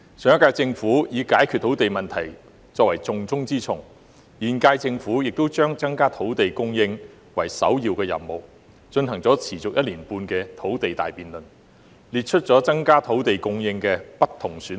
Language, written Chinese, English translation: Cantonese, 上屆政府視解決土地問題為施政的重中之重，現屆政府亦把增加土地供應列作首要任務，進行了持續1年半的土地大辯論，列出了增加土地供應的不同選項。, While the last - term Government had accorded top priority to resolving the land issue the current - term Government has also accorded top priority to increasing land supply and conducted a grand debate on land that lasted one and a half years setting out different options on increasing land supply